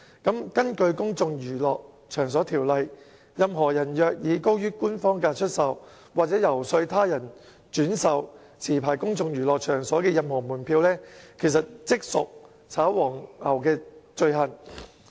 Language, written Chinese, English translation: Cantonese, 根據《公眾娛樂場所條例》，任何人若以高於官方票價出售、或遊說他人轉售持牌公眾娛樂場所的任何門票，即屬"炒黃牛"罪行。, In accordance with the Places of Public Entertainment Ordinance any person who sells or solicits the purchase of any ticket of any place of public entertainment licensed under the Ordinance at a price exceeding the official amount for such a ticket shall be guilty of an offence related to scalping